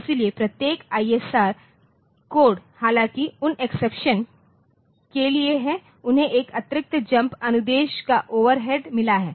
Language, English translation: Hindi, So, every ISR code in though for those exceptions so, they have got an overhead of one extra jump instruction